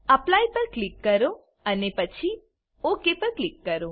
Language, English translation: Gujarati, Click on Apply and then click on OK